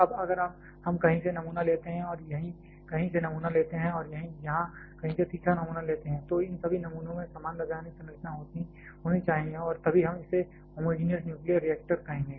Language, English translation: Hindi, Now, if we pick up sample from somewhere and sample from somewhere here and a third sample from somewhere here the all this samples should have identical chemical composition and then only we shall be calling it a homogenous nuclear reactor